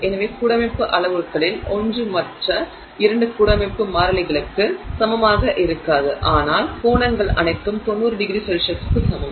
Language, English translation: Tamil, So, one of the lattice parameters is not equal to the other two lattice constants and but the angles are all 90 degrees